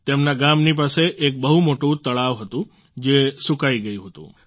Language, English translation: Gujarati, Close to her village, once there was a very large lake which had dried up